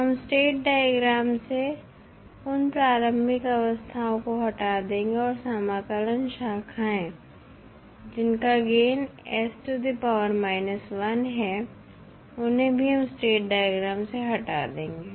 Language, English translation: Hindi, We will remove those initially states from the state diagram, we also remove the integrator branches which have gain as 1 by s from the state diagram